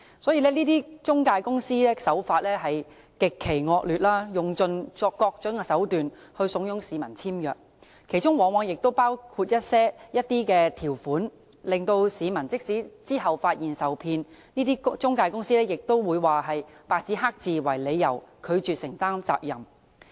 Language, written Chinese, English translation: Cantonese, 這些中介公司的手法極其惡劣，用盡各種手段慫恿市民簽約，其中往往包括一些條款，令市民即使在日後發現受騙，中介公司亦會以白紙黑字為由，拒絕承擔責任。, The practices of these intermediaries are extremely deplorable . They will persuade members of the public by various means to sign contracts . And such contracts signed often include some terms and conditions such that even if members of the public later find that they have been cheated intermediaries will refuse to assume responsibility on the ground that the contracts are in black and white